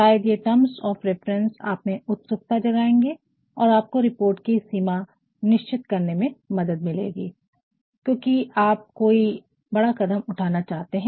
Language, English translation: Hindi, Maybe these terms of reference will also ignite and help in conforming to the scope of report, because you want some major action to be taken